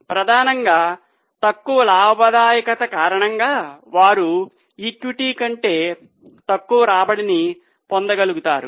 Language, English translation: Telugu, Mainly because of lower profitability they are able to generate lesser return than equity